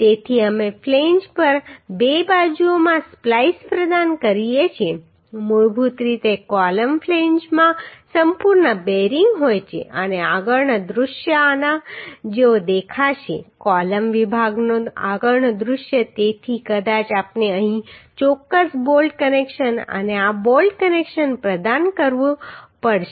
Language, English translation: Gujarati, So we provide splice in two sides on the flange Uhh basically column flange are having complete bearing and the front view would look like this front view of the column section so maybe we have to provide certain bolt connection here and bolt connection in this right